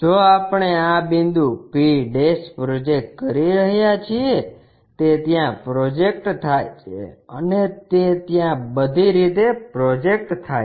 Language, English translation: Gujarati, If we are projecting this point p' it projects there and that goes all the way there